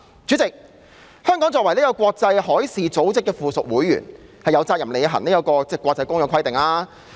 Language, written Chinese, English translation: Cantonese, 主席，香港作為國際海事組織的附屬會員，有責任履行國際公約規定。, President being an associate member of the International Maritime Organization Hong Kong has the responsibility to fulfil the requirements under the international convention